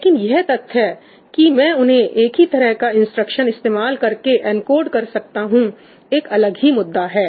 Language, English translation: Hindi, The fact that I can encode them using the same instruction is completely a separate issue